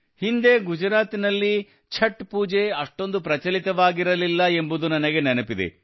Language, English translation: Kannada, I do remember that earlier in Gujarat, Chhath Pooja was not performed to this extent